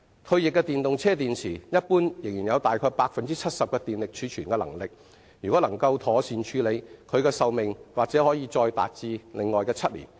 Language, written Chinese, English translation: Cantonese, 退役的電動車電池一般仍有大概 70% 的電力儲存能力，如果能夠妥善處理，其可用壽命或可達7年。, Generally speaking decommissioned batteries will still have up to 70 % of their capacity and they may have a lifespan of seven years if properly handled